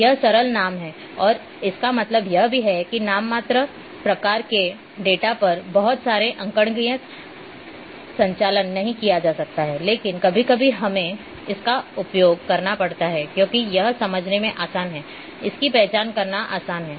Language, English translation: Hindi, It simple name and that mean also that lot of arithmetic operations cannot be performed on nominal types of data, but sometimes we have to use because this is easy and easy to understand, easy to identify